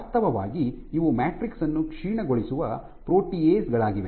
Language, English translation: Kannada, Actually these are proteases which degrade the matrix